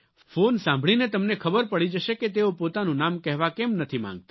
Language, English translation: Gujarati, When you listen to the call, you will come to know why he does not want to identify himself